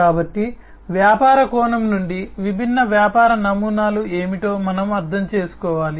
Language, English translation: Telugu, So, from the business perspective, we need to understand what are the different business models